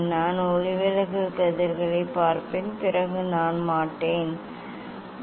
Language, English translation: Tamil, I will look at the refracted rays then I will not; it will not be missing